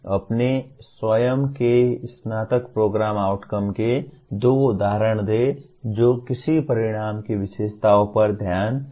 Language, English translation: Hindi, Give two examples of outcomes of your own undergraduate program paying attention to the features of an outcome